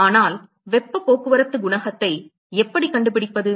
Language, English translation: Tamil, But how do we find heat transport coefficient